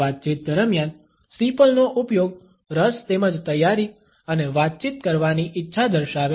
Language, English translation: Gujarati, The use of steeple during conversation indicates interest as well as a readiness and a willingness to interact